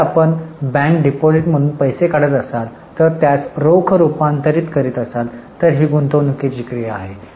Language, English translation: Marathi, If you are putting a deposit in a bank it will be an investing activity